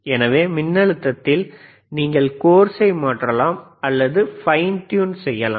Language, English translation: Tamil, So that means, that in voltage, you can course change it or you can fine tune it,